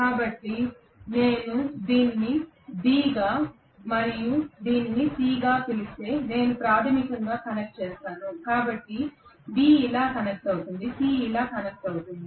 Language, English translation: Telugu, So I will connect basically from if I may call this as B and this as C, so B will be connected like this, C will be connected like this